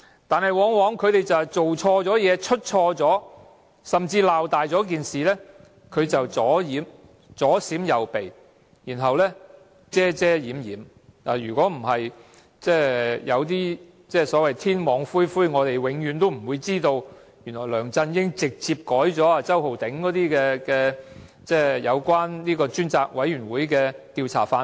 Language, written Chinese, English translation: Cantonese, 但是，他們犯錯甚至把事情鬧大之後，往往只會左閃右避，然後遮遮掩掩，如果不是所謂天網恢恢，我們永遠不會知道，原來梁振英直接修改了由周浩鼎議員提供有關專責委員會的調查範圍。, But every time they make a mistake and even when the mistake is widely publicized they will still avoid the subject and try to hide the mistake from us . For example if not because justice has a long arm we would never have known that Mr Holden CHOW forwarded the proposed scope of inquiry of the select committee to LEUNG Chun - ying and the latter personally amended it